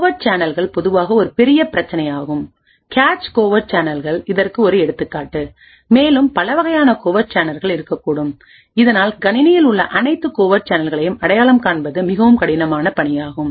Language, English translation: Tamil, Covert channels in general are a big problem the cache covert channels are just one example in addition to this there could be several other different types of covert channels and thus identifying all the covert channels present in the system is quite a difficult task